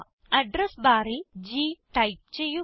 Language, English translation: Malayalam, Now, in the Address bar, type the letter G